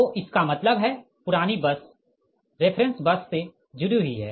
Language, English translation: Hindi, so that means that means that old bus connected to the reference bus